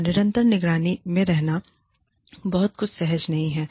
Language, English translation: Hindi, And, being under constant surveillance, is not something, very comfortable